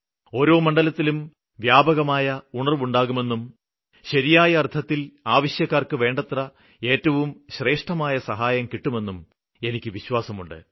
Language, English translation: Malayalam, It is my faith that awareness in this field will increase and the needful will receive the best of help in true sense